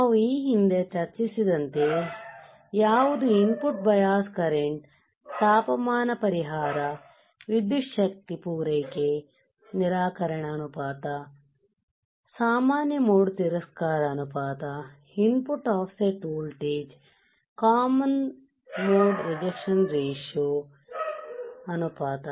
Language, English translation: Kannada, So, like we have discussed earlier which are the input bias current right, temperature compensation, power supply rejection ratio, common mode rejection ratio, input offset voltage, CMRR right common mode rejection ratio